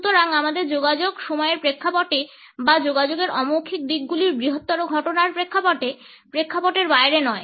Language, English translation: Bengali, So, our communication, in the context of time or in the context of the larger phenomena of nonverbal aspects of communication, is not outside the context